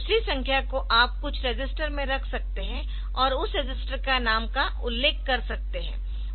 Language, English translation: Hindi, Second number you can put it onto some register, and mention that register name